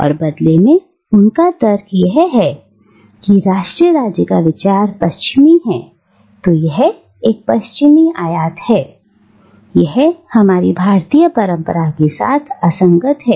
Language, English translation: Hindi, And, in turn, he argues that because the idea of nation state is western, it is a western importation, it is incompatible with our Indian tradition